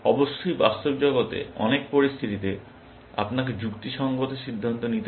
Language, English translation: Bengali, Of course, in the real world, many situations where, you have to do rational decision making